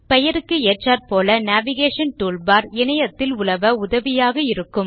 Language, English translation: Tamil, As the name suggests, the Navigation toolbar helps you navigate through the internet